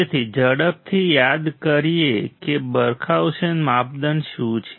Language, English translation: Gujarati, So, to quickly recall what is Barkhausen criteria